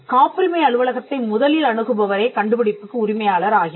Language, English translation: Tamil, The person who approaches the patent office first gets the invention